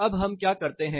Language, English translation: Hindi, Now, what do we do